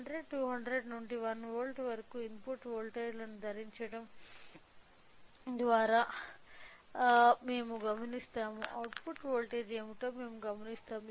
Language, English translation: Telugu, We will observe by wearing the input voltages from 100, 200 till 1 volt, we will observe what is the output voltage